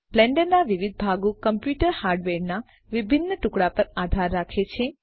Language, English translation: Gujarati, Different parts of Blender are dependent on different pieces of computer hardware